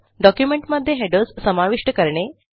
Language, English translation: Marathi, How to insert headers in documents